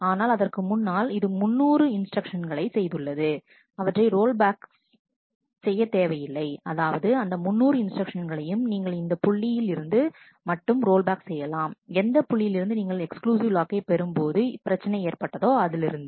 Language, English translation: Tamil, But before that it has done 300 instructions it is not necessary to rollback the whole of the 300 instructions, you can just roll back up to the point where it took that exclusive lock which is creating the problem